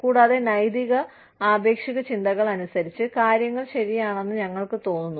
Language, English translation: Malayalam, And, according to the ethical relativistic thinking in, we feel that, things are right